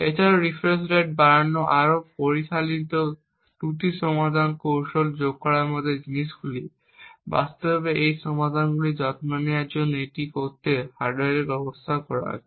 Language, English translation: Bengali, Also, things like increasing the refresh rate, adding more sophisticated error correction techniques have been used in the hardware to actually make this to take care of these solutions